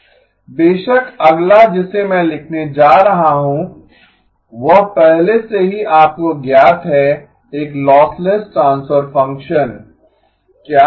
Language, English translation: Hindi, Of course, the next one that I am going to write down is already known to you, what is a lossless transfer function